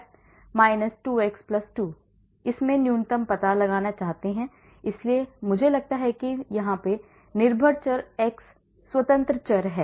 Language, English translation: Hindi, so I want to find out the minimum, so I take y is the dependent variable x is the independent variable